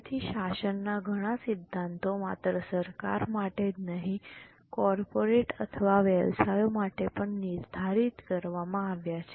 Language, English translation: Gujarati, So, lot of governance principle, not only for government, even for corporates or businesses have been laid down